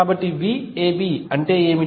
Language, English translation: Telugu, So, what will be V AB